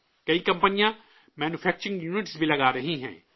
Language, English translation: Urdu, Many companies are also setting up manufacturing units